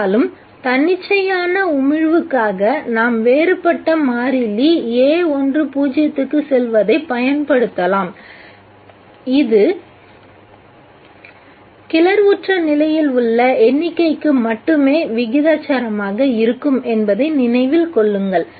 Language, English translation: Tamil, However let us use for the stimulated emission for the spontaneous emission let us use a different constant a 1 to 0 and you remember that it is proportional only to the number present in the excited state